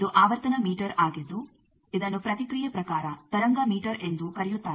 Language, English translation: Kannada, It is a frequency meter where reaction type wave meter also it is called